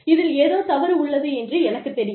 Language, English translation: Tamil, There is something wrong with it